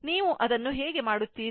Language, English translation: Kannada, How you will do it, ah